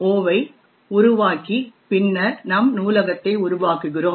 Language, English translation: Tamil, o and then create our library